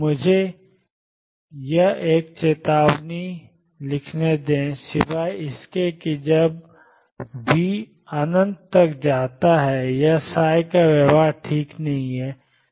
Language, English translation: Hindi, Let me write a warning here except when v goes to infinity or v is not well behaved